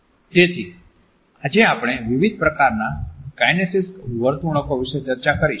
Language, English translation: Gujarati, So, today we have discussed different types of kinesic behaviors